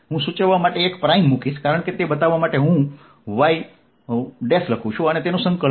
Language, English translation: Gujarati, i will put a prime to indicated, as i have been doing, to show that it is a y prime over which i am integrating